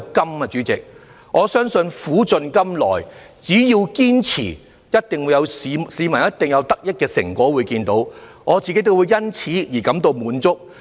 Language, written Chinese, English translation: Cantonese, 代理主席，我相信苦盡甘來，只要堅持，一定可令市民看到得益的成果，我亦會因此感到滿足。, Deputy President I believe as long as we persevere there will be a good outcome after hard work and the public will see the benefits and I am also content